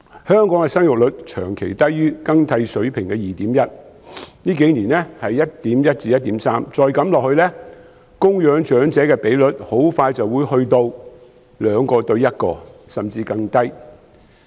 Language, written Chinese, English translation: Cantonese, 香港的生育率長期低於更替水平的 2.1， 近數年為 1.1 至 1.3， 再這樣下去，供養長者的比率很快便會變成 2：1， 甚至更低。, Hong Kongs fertility rate has stayed below the replacement level of 2.1 for a long time reaching 1.1 to 1.3 in recent years . If this situation drags on the elderly dependency ratio will soon touch 2col1 or even lower